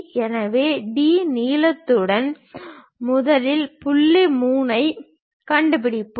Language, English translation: Tamil, So, with D length, we will first of all locate point 3